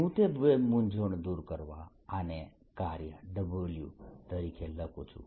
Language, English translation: Gujarati, and to remove that confusion, let us write this as w